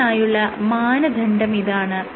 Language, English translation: Malayalam, This is the criteria